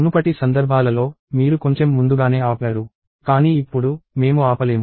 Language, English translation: Telugu, In the previous cases, you could have stopped slightly earlier; but now, we cannot stop